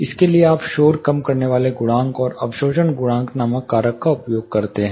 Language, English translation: Hindi, For this you are using the factor called noise reduction coefficient, and alpha or the absorption coefficient